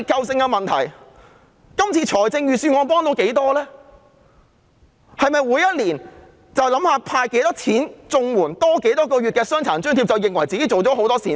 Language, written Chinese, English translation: Cantonese, 是否每年只須考慮增加多少綜援金額或多發多少個月的傷殘津貼，便以為自己做了很多善事？, Can it consider itself a great philanthropist simply by giving consideration to the increase in CSSA rates or the additional months of Disability Allowance granted every year?